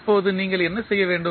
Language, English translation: Tamil, Now, what you have to do